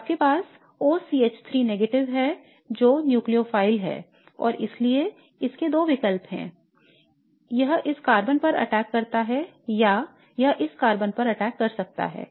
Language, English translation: Hindi, So you have OCH3 minus which is the nucleophile and so it has two choices it attacks on this carbon or it can attack at this carbon